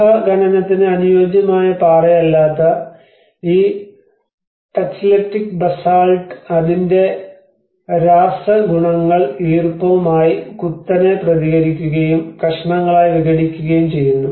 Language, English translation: Malayalam, \ \ \ And this Tacheletic Basalt which is not a conducive rock for cave excavation as its chemical properties react sharply with moisture and disintegrate into pieces